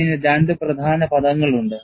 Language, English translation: Malayalam, And it has two main terms